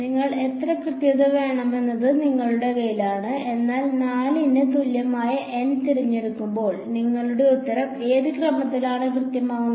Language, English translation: Malayalam, It is in your hand how much accuracy you want, but when you choose N equal to 4 your answer is accurate to what order